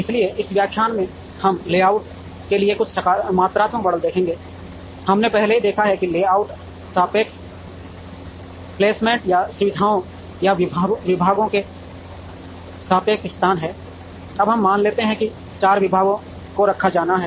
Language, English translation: Hindi, So, in this lecture, we will look at some quantitative models for layout, we have already seen that layout is relative placement or relative location of facilities or departments, now let us assume that four departments have to be placed